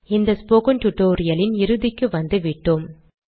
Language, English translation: Tamil, We are almost at the end of the spoken tutorial